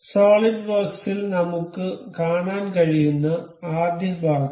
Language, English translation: Malayalam, In solidworks the first part we can see